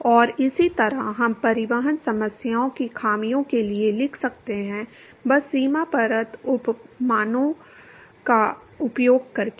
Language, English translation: Hindi, And, similarly we could write for the flaws transport problems, simply by using the boundary layer analogies